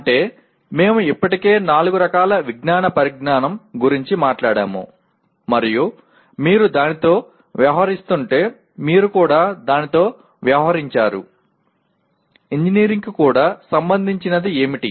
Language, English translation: Telugu, That means we have already talked about four categories of knowledge of science and then if you are dealing with that then you have also dealt with that, what is relevant to engineering as well